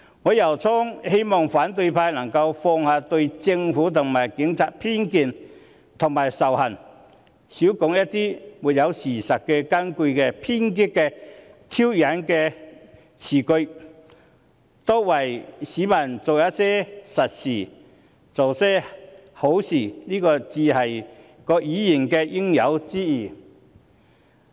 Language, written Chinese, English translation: Cantonese, 我由衷希望反對派能夠放下對政府及警察的偏見和仇恨，少說一些沒有事實根據的偏激和挑釁辭句，多為市民做些實事，做些好事，這才是議員應有之義。, I sincerely hope that the opposition will put aside their prejudices and hatred against the Government and the Police refrain from making radical or provocative remarks that lack factual basis and do more practical and good things for members of the public . These are exactly the due responsibilities of Members